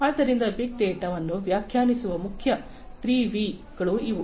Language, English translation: Kannada, So, these are the main 3 V’s of defining big data